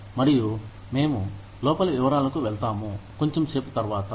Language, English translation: Telugu, And, we will go into detail, a little later